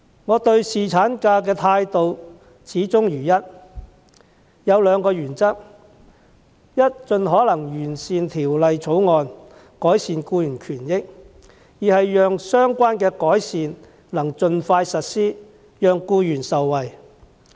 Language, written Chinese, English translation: Cantonese, 我對侍產假的態度始終如一，持兩項原則：第一，是盡可能完善《條例草案》，改善僱員權益，以及第二，讓相關的改善能盡快實施，讓僱員受惠。, My attitude towards paternity leave has remained the same throughout and I adhere to two principles First refining the Bill as far as possible to improve employee rights and interests; and second enabling the expeditious implementation of the relevant improvements to benefit employees